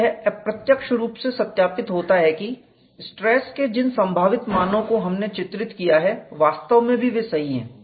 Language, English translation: Hindi, So, this is the indirect verification that what we have pictured as the possible values of stresses is indeed correct